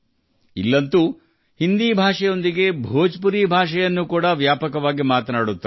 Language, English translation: Kannada, Bhojpuri is also widely spoken here, along with Hindi